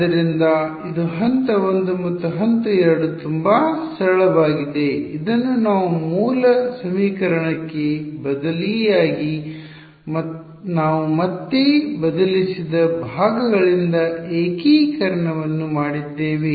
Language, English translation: Kannada, So, this was step 1 and the step 2 is very simple substitute this into the original equation whatever trick we did integration by parts we substituted back in